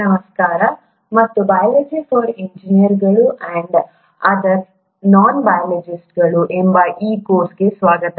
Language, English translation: Kannada, Hello and welcome to this course called “Biology for Engineers and other Non Biologists”